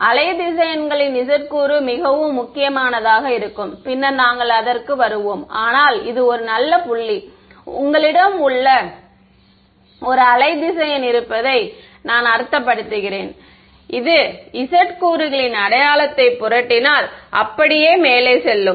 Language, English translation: Tamil, The z component of the wave vectors will be very crucial we will come to it subsequently, but that is a good point I mean you have a wave vector that is going like this if I flip the sign of the z component it will just go up right that is was